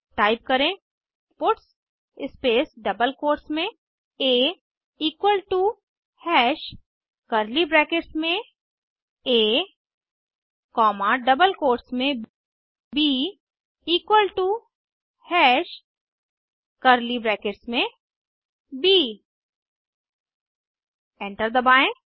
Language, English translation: Hindi, Type puts space within double quotes a equal to hash within curly brackets a comma within double quotes b equal to hash within curly brackets b Press Enter